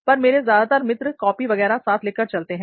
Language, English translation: Hindi, But most of my friends, they do carry copies and all